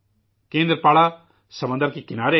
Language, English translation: Urdu, Kendrapara is on the sea coast